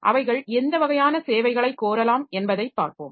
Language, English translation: Tamil, We'll see what type of services they can request